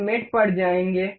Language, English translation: Hindi, We will go to mate